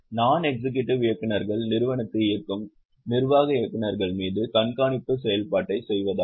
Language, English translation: Tamil, Non executive directors are meant to do monitoring function on the executive directors who are running the company